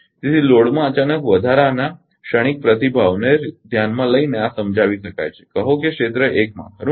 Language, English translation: Gujarati, So, this can be explained by considering the terms in response to a sudden increase in the loads say in area 1 right